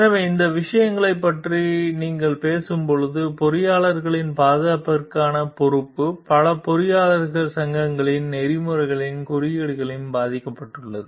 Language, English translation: Tamil, So, when you are talking of these things what we find like there is the responsibility for safety of the engineers have been embedded in the codes of ethics of many engineering societies